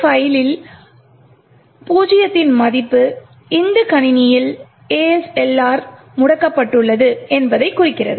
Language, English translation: Tamil, A value of 0 in this file indicates that ASLR is disabled on this system